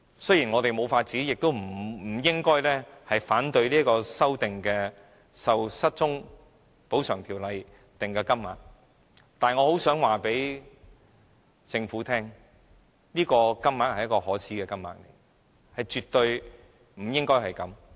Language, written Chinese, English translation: Cantonese, 雖然我們沒有辦法，也不應該反對修訂《條例》所訂定的金額，但我很希望告訴政府，這是一個可耻的金額，絕對不應該是這樣的低。, Although we have no alternative we still should not oppose the amount as amended in the Ordinance . Nevertheless I do wish to tell the Government that this is a shameful amount and it should absolutely not be set at such a low level